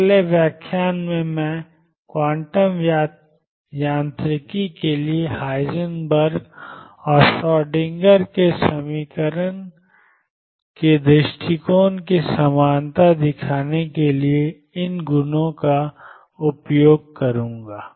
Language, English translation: Hindi, In the next lecture I will use these properties to show the equivalence of Heisenberg’s and Schrodinger’s approaches to quantum mechanics